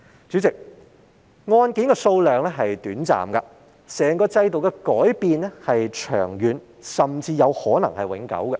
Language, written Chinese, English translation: Cantonese, 主席，案件的數量多寡是短暫的，整個制度的改變卻是長遠，甚至可能是永久的。, President the ups and downs in the number of cases are brief but the changes in the whole system last long and may even be permanent